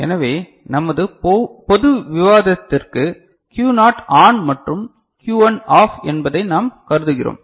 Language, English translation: Tamil, So, we consider for our general discussion that Q naught is ON and Q1 is OFF ok